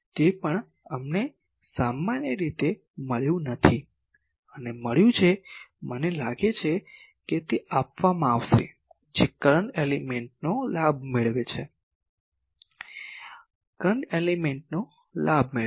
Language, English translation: Gujarati, That also we have not found generally we found find it and, I think in assignment it will be given that find the gain of a current element, find the gain of a current element